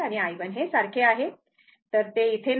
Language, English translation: Marathi, So now, this is open means, it is not there